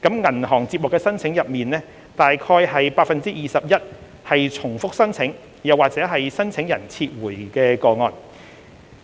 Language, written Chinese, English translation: Cantonese, 銀行接獲的申請中，約 21% 為重複申請或申請人撤回的個案。, Of all the applications received by the banks around 21 % were either duplicated applications or subsequently withdrawn by applicants